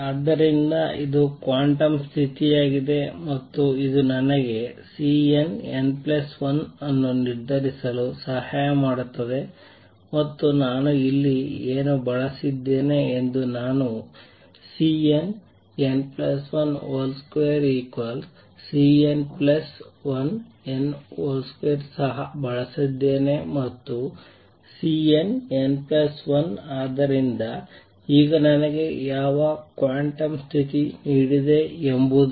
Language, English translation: Kannada, So, this is the quantum condition and this can help me determine C n, C n plus 1 and what I have used here I have also used that C n n plus 1 mod square is same as mod C n plus 1 n mod square and same thing about C n n minus 1